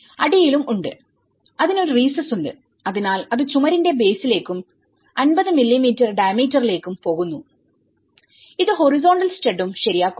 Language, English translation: Malayalam, And there is also in the bottom, it have a recess so it goes into the wall base and as well as 50 mm diameter, so it fix the horizontal stud as well